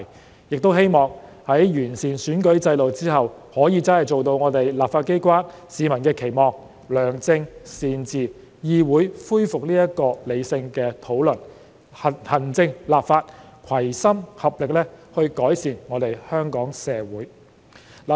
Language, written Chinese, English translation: Cantonese, 我們亦希望在完善選舉制度後，立法機關真的可以做到市民的期望，良政善治，議會恢復理性的討論，行政立法攜心合力改善香港社會。, We also hope that after the electoral system is improved the legislature can really meet the publics expectation of exercising good governance and restoring rational discussion in the legislature so that the executive and the legislature will work together to improve Hong Kong society